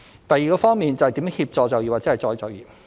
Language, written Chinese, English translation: Cantonese, 第二方面，是如何協助就業或再就業。, The second aspect is about how to assist employment or re - employment